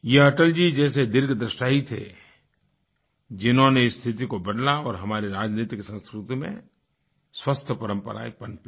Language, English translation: Hindi, It could only be a visionary like Atalji who brought in this transformation and as a result of this, healthy traditions blossomed in our polity